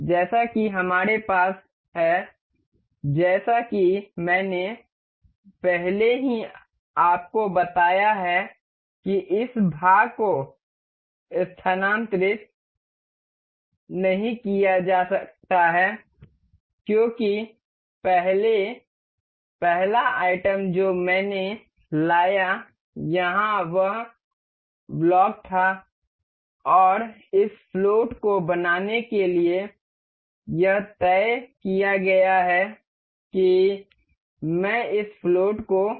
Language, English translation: Hindi, As we have, as I have already told you this part cannot be moved because on the first, the first item that I brought here was this block and this is fixed to make this float I can make this float